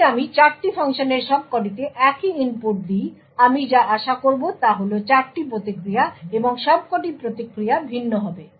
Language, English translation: Bengali, If I give the same input to all of the 4 functions, what I would expect is 4 responses and all of the responses would be different